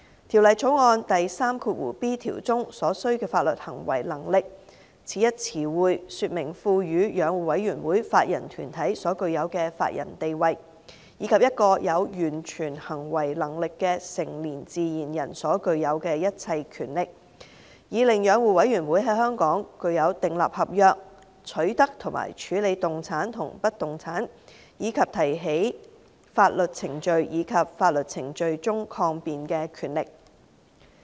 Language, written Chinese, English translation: Cantonese, 《條例草案》第 3b 條中"所需的法律行為能力"此一詞彙，說明賦予養護委員會法人團體所具有的法人地位，以及一個有完全行為能力的成年自然人所具有的一切權力，以令養護委員會在香港具有訂立合約、取得和處置動產及不動產，以及提起法律程序及在法律程序中抗辯的權力。, The term necessary legal capacity in clause 3b of the Bill referred to giving the Commission the legal personality of a body corporate and all the powers of a natural person of full age and capacity such that the Commission could enjoy the powers to enter into contracts to acquire and dispose of movable and immovable properties and to institute and defend legal proceedings in Hong Kong